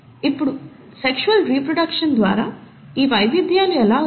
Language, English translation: Telugu, Now how are these variations through sexual reproduction brought about